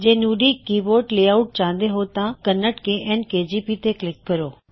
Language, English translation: Punjabi, If you want to Nudi keyboard layout, click on the Kannada – KN KGP